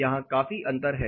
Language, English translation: Hindi, There is a considerable amount of difference here